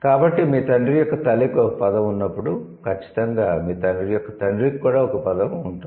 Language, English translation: Telugu, If you have a word for the mother's father, then you would surely have a word for the father's father